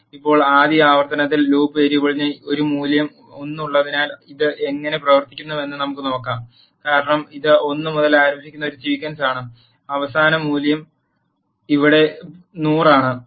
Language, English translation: Malayalam, So now, let us see how this things work so in the first iteration the loop variable has a value 1 because it is a sequence starting from 1 and the last value is 100 here